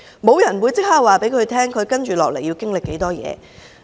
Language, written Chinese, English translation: Cantonese, 沒有人會即時告訴她接不來會經歷多少事。, She will not be told immediately about what she will subsequently go through